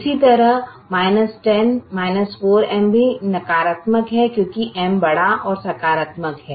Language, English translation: Hindi, similarly, minus ten minus four is is also negative because m is large and positive